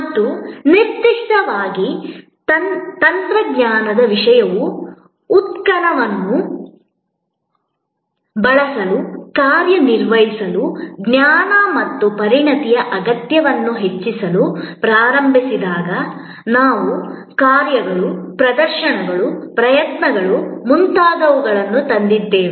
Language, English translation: Kannada, And particularly, when the technology content started increasing the need of knowledge and expertise to operate to use products started augmenting, we brought in things like acts, deeds, performances, efforts